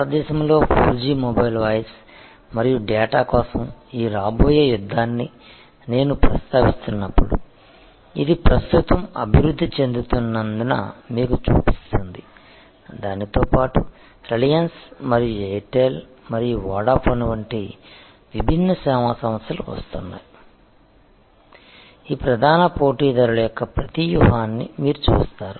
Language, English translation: Telugu, And as I was mentioning this coming battle for 4G mobile voice and data in India will show you as it is evolving right now and different service providers like Reliance and Airtel and Vodafone or coming, you will see that almost every strategy of all these major players will be derived out of this best cost that is low cost high quality approach